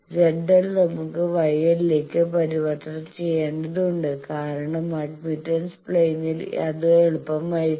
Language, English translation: Malayalam, So, Z L we need to convert to Y L because admittance plane it will be easier